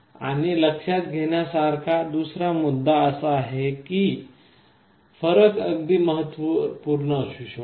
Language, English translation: Marathi, And the other point to note is that the difference can be quite significant